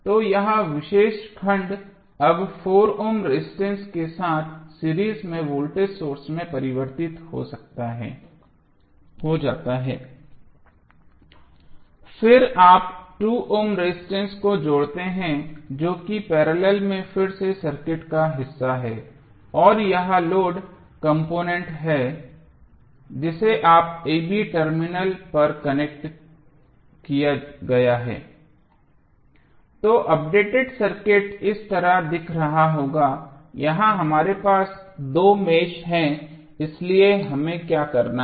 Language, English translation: Hindi, So, this particular segment is now converted into voltage source in series with 4 ohm resistance then you add 2 ohm resistance that is the part of the circuit in parallel again and this is the load component which you have connected at terminal a, b